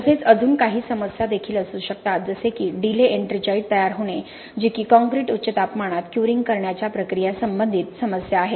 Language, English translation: Marathi, We may also have some problems like delayed ettringite formation which is more of a processing related issue where concrete is cured at high temperatures